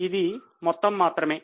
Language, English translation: Telugu, It is just a total